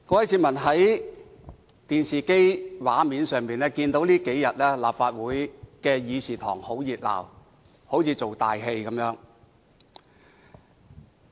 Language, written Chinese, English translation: Cantonese, 市民大眾從電視看到這幾天的立法會議事堂十分熱鬧，仿如在做"大戲"。, Members of the public can see through television broadcast the hustle and bustle of the Legislative Council Chamber these few days as Members have been putting on shows